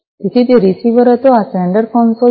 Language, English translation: Gujarati, So, that was the receiver one and this is the sender console